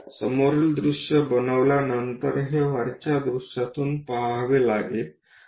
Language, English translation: Marathi, After constructing front view, we have to see it from top view